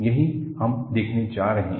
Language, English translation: Hindi, That is what, we are going to see